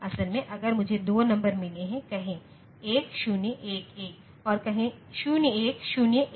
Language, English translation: Hindi, Basically, if I have got 2 numbers say 1 0 1 1 and say 0 1 0 1